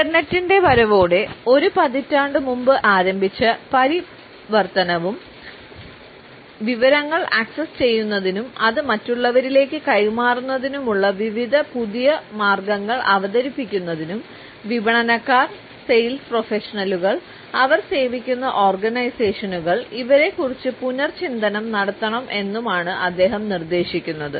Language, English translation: Malayalam, And he also suggests that the transition that had started about a decade ago with the arrival of the internet and the introduction of various new ways of accessing information and passing it onto others, required a significant rethinking on the people of marketers, sales professionals and the organisations they serve